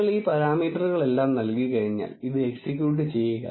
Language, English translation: Malayalam, Once you give all these parameters, execute this